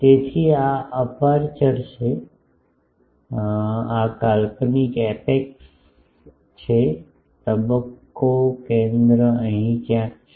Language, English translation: Gujarati, So, this is the aperture, this is the imaginary apex, the phase center is somewhere here